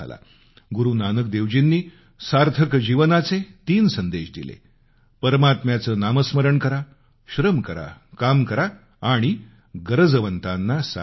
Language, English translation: Marathi, Guru Nanak Dev ji voiced three messages for a meaningful, fulfilling life Chant the name of the Almighty, work hard and help the needy